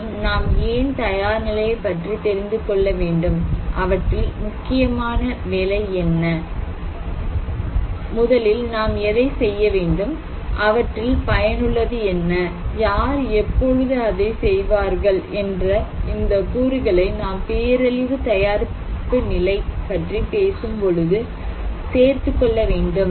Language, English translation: Tamil, And also we need to know the preparedness; what is the priority work, which one I should do first, what is effective, who will do it, and when would be done so, these components should be included when we are talking about a disaster preparedness